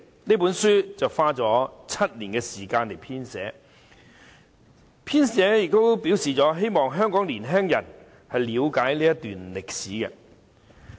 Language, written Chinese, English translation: Cantonese, 這本書花了7年時間編寫，其編者表示希望香港的年青人了解這段歷史。, It is the hope of the editor of this book which took seven years to complete that Hong Kongs young people will understand this episode in history